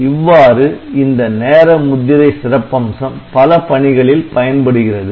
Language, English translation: Tamil, So, this way this time stamping feature can be utilized in different applications